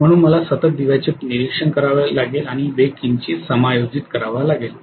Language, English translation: Marathi, So I have to continuously observe the lamp and adjust the speed slightly